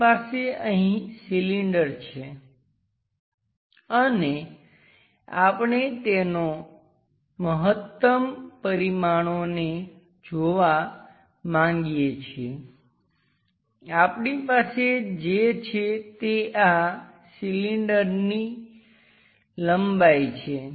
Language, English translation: Gujarati, We have a cylinder here and we would like to visualize that maximum dimensions, what we are having is this length of that cylinder